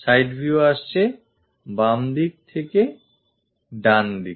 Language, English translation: Bengali, So, it is left side view